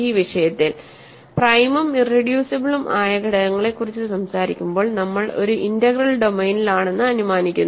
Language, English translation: Malayalam, In all this subject of when we talk about irreducible and prime elements we are assuming that we are in an integral domain